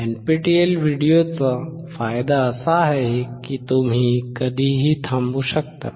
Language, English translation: Marathi, The advantage of NPTEL videos is that you can stop at any time